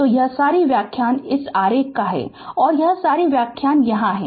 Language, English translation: Hindi, So, all this explanation is this is the diagram and all this explanation is here